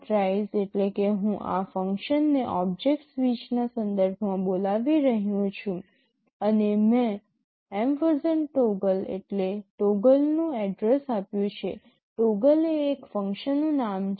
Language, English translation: Gujarati, rise means I am calling this function in connection with the object switch and I have given &toggle means address of toggle; toggle is the name of a function